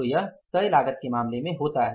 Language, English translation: Hindi, So, that happens in case of the fixed cost